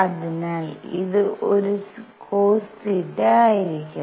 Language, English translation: Malayalam, So, this is going to be a cosine of theta